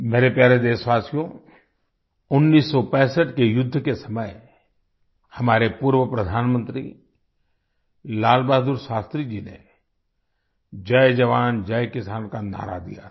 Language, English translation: Hindi, My dear countrymen, during the 1965 war, our former Prime Minister Lal Bahadur Shastri had given the slogan of Jai Jawan, Jai Kisan